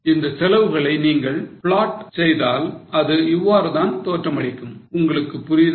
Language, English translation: Tamil, Now if you try to plot this cost, this is how they look like